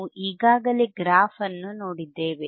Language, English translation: Kannada, We have already seen the graph